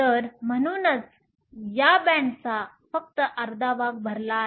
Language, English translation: Marathi, So, hence only half of this band is full